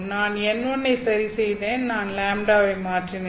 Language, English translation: Tamil, I have fixed n1 as I change lambda